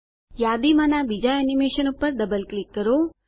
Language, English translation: Gujarati, Double click on the second animation in the list